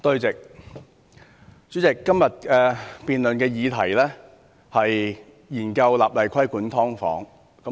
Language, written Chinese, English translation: Cantonese, 主席，今天辯論的議題是研究立例規管"劏房"。, President the question of todays debate is the enactment of legislation on regulating subdivided units